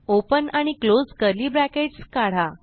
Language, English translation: Marathi, So open and close curly brackets